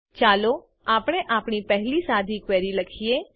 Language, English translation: Gujarati, Let us write our first simple query